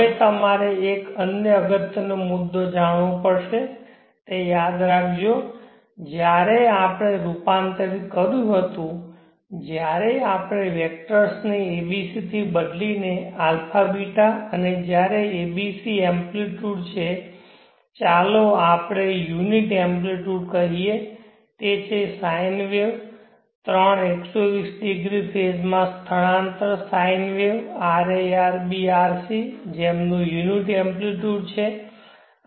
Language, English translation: Gujarati, Now there is another important point that you have to know remember that while we converted while we transformed the vectors from the abc to abeeta and when the a, b, c amplitudes are let us say unit amplitudes that is the sine waves the 3 120degree sine waves area ,b or c having unit amplitude then the amplitude that resulted was 3/2 in the abeeta domain